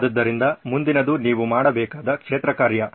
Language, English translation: Kannada, So the next is the field work that you need to be doing